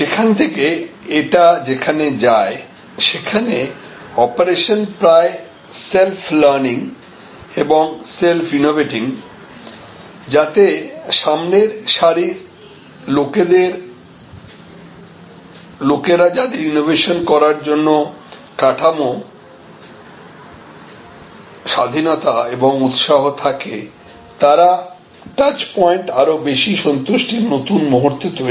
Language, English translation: Bengali, And from there, it goes to the operation is almost self learning and self innovating, so the people at the front end with the kind of structure freedom encouragement for innovation, they create new moments of high satisfaction at that touch points